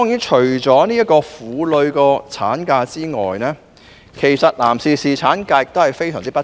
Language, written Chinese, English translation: Cantonese, 除了婦女的產假外，其實男士侍產假亦非常不足。, Apart from maternity leave for women paternity leave for men is also far from adequate